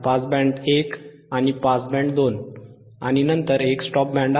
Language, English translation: Marathi, right two pass band and one stop band